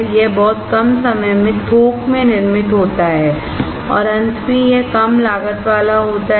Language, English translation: Hindi, It is manufactured in bulk in very less time and finally, it is low cost